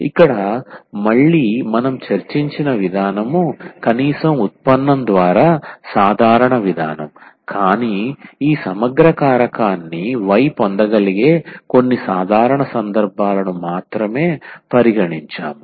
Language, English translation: Telugu, So, here again that approach which we have discussed which was rather general approach at least by the derivation, but we have considered only few simple cases where we can get this integrating factor y